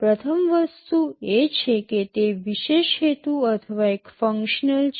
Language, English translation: Gujarati, First thing is that they are special purpose or single functional